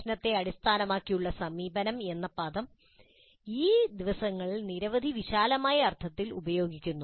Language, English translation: Malayalam, The term problem based approach is being used in several broad senses these days